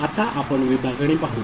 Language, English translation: Marathi, Now, we shall look at division